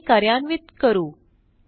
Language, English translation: Marathi, Let us run the query